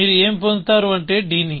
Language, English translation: Telugu, So, what would you get is d